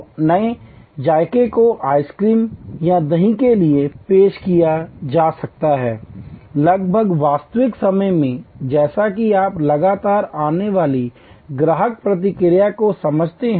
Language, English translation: Hindi, So, new flavors can be introduced for ice cream or yogurt, almost in real time as you understand the customer reaction coming to you continuously